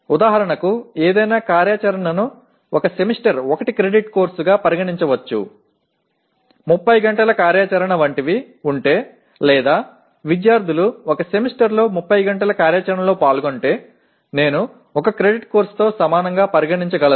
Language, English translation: Telugu, For example one can consider any activity as a course of 1 credit over a semester if there are something like 30 hours of activity are involved or students are involved in 30 hours of activity over a semester, I can consider equivalent to 1 credit course